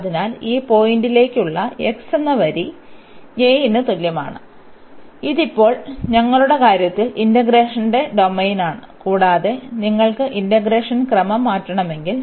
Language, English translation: Malayalam, So, this line to this point x is equal to a; so, this is the domain of integration in our case now, and if you want to change the order of integration